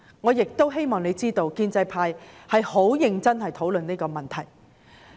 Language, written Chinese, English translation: Cantonese, 我希望政府知道，建制派是很認真地討論這個問題。, I hope the Government will realize that the pro - establishment camp is discussing this issue very seriously